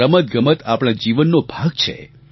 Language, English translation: Gujarati, Sports should become a part of our lives